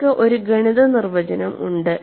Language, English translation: Malayalam, So, you have a mathematical definition